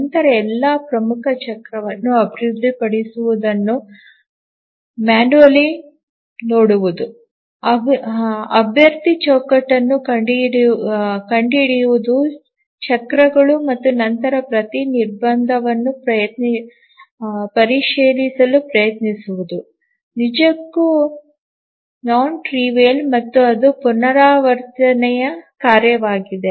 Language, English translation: Kannada, Manually looking at all developing the major cycle, finding out candidate frame cycles and then trying to check every constraint is actually non trivial and that too it's an iterative task